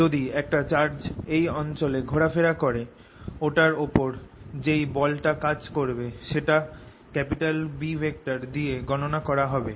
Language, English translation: Bengali, if a charge moves in this region, the force on it will be determined by b